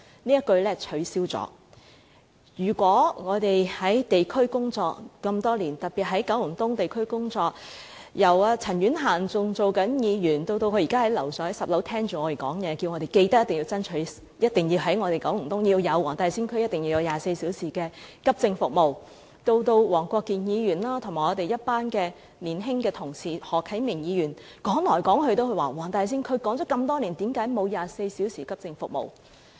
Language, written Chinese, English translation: Cantonese, 我們在地區工作多年，自陳婉嫻女士擔任議員，直至現在她在10樓聆聽着我們發言，其間一直叮囑我們緊記向政府爭取在九龍東黃大仙區提供24小時急症服務，而黃國健議員和我們一群年青的同事，例如何啟明議員，亦已提出多年，為何在黃大仙區仍沒有24小時急症服務？, From the time Ms CHAN Yuen - han served as a Member to the present moment when she is listening to our speeches on the 10 floor she has all along advised that we must remember to strive for the provision of 24 - hour accident and emergency AE services in the Wong Tai Sin District Kowloon East from the Government . Mr WONG Kwok - kin and our young colleagues like Mr HO Kai - ming have also proposed it for years . Why are 24 - hour AE services still not available in the Wong Tai Sin District?